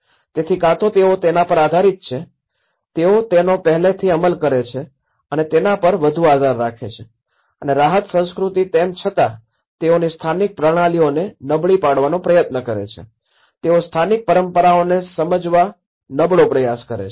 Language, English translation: Gujarati, So, they either depend on the, they either rely more on what they have already executed and also the relief culture though they try to undermine the local systems, they try to understand, undermine the local traditions